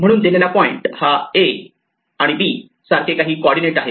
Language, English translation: Marathi, Therefore, a given point is given some coordinate like a comma b